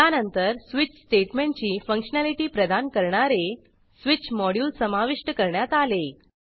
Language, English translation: Marathi, After that, Switch module was introduced, which provided the functionality of switch statement